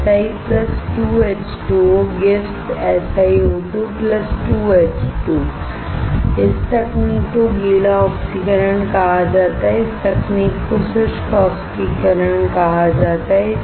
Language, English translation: Hindi, Si + 2H2O > SiO2 + 2H2 This technique is called wet oxidation, this technique is called dry oxidation